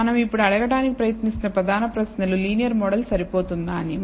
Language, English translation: Telugu, So, the main questions that we are trying to ask now whether a linear model is adequate